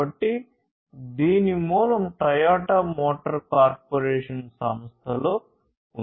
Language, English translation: Telugu, So, it has its origin in the Toyota motor corporation company as I said before